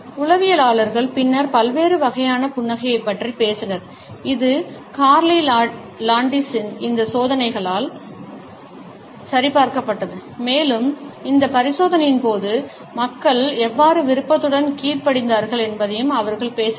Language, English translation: Tamil, Psychologists later on talked about the different types of a smiles which has been in a validated by these experiments by Carney Landis and they also talked about how willingly people had been obedient during this experiment going to certain extent in order to follow the instructions